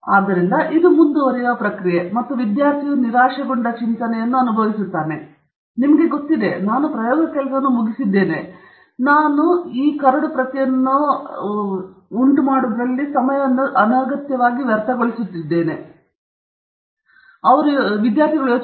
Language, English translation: Kannada, So, this is the process that goes on and the student feels frustrated thinking that, you know, I have finished the work, why are we wasting time, let’s just put it out there